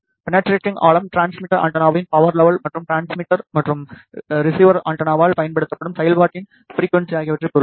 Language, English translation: Tamil, The depth of penetration depends on the power level of the transmitter antenna, and the frequency of operation which is used by the transmitter and receiver antenna